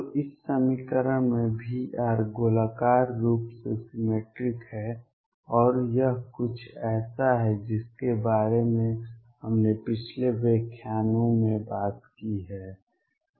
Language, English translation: Hindi, So, in this equation v r is spherically symmetric, and this is something that we have talked about in the previous lectures